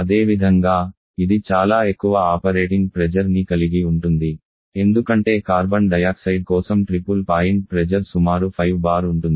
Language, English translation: Telugu, Similarly it has very high operating pressure because the triple point temperature for Carbon triple point pressure for Carbon dioxide is about 5 bar the triple point pressure